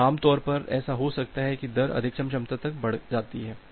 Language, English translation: Hindi, So, normally what happens that well the rate gets increased up to the maximum capacity